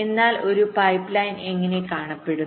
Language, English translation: Malayalam, but how a pipeline looks like